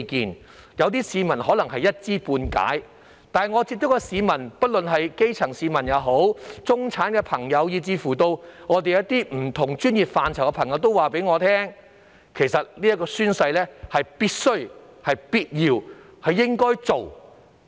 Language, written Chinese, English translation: Cantonese, 雖然有些市民可能只是一知半解，但我所接觸的市民——不論是基層市民、中產以至不同專業範疇的人士——都對我說，宣誓是必須、必要及應該做的。, Although some of them may not know much about this matter all of those I have talked to―be they people from the grass roots middle - class people or even practitioners from various professions―told me that the taking of oath is imperative essential and necessary